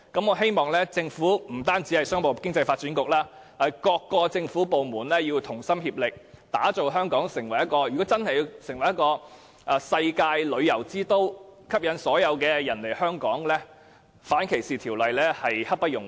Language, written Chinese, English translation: Cantonese, 我希望政府，不單是商務及經濟發展局，而是各政府部門均能同心協力，打造香港成為世界旅遊之都，而要令香港成為世界旅遊之都，吸引所有人來香港，訂立反性傾向歧視法例實在刻不容緩。, I hope that all government departments not just the Commerce and Economic Development Bureau will work hand in hand to make Hong Kong the worlds leading travel destination . To achieve that and attract visitors from all corners of the world we should expeditiously enact legislation against discrimination on the ground of sexual orientation